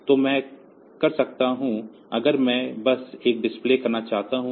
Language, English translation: Hindi, So, I can if I just want to have a delay